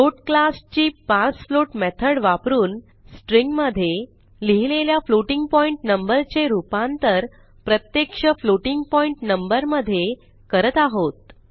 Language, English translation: Marathi, parsefloat We are using the Parsefloat methods of the float class to convert the string containing a floating point number into an actual floating point number